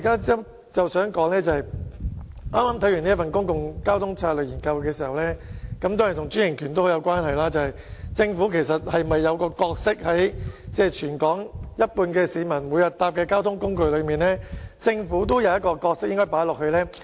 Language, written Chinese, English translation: Cantonese, 就我剛才提及的《公共交通策略研究》報告，當中固然提及專營權，但我想指出，對於全港有一半市民每天乘搭的交通工具，政府是否應有一個角色呢？, In the report on Public Transport Strategy Study which I mentioned earlier franchised bus services are certainly mentioned . Yet I have to point out that for a means of transport patronized by half of the citizens of the territory every day should not the Government have a role to play?